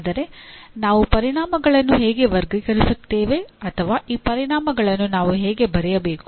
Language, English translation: Kannada, But how do we classify outcomes or how do we write these outcomes